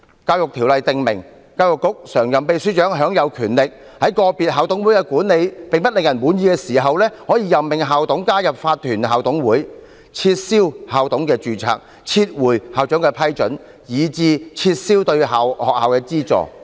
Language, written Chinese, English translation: Cantonese, 《教育條例》訂明，教育局常任秘書長享有權力，在個別校董會的管理並不令人滿意時，可任命校董加入法團校董會、取消校董的註冊、撤回對校長的批准，以至撤銷對學校的資助。, The Education Ordinance provides that when a school is not being managed satisfactorily by an individual IMC the Permanent Secretary for Education may exercise his power to appoint a manager to IMC cancel the registration of a manager withdraw his approval of the principal and even withdraw the funding for the school